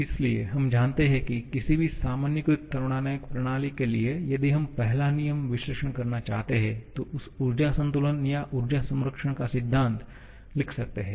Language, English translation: Hindi, So, we know that for any generalized thermodynamic system if we want to perform a first law analysis, we can write an energy balance or a principle of energy conservation